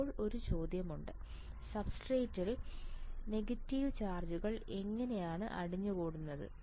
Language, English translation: Malayalam, Now, there is a question, how negative charges accumulating in the substrate negative charges accumulating substrate